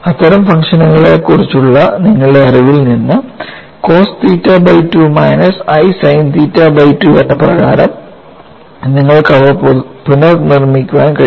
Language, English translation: Malayalam, From your knowledge of such functions, you can recast them like cos theta by 2 minus i sin theta by 2